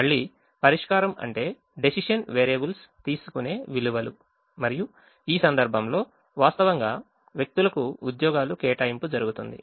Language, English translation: Telugu, again, solution means values that the decision variables takes and in this case, the actual allocation of jobs to persons